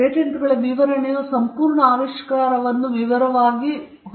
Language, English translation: Kannada, The patents specification will have to explain, in detail, the entire invention